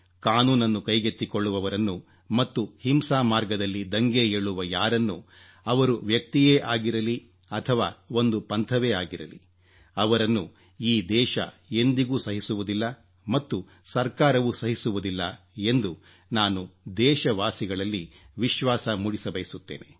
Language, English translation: Kannada, I want to assure my countrymen that people who take the law into their own handsand are on the path of violent suppression whether it is a person or a group neither this country nor any government will tolerate it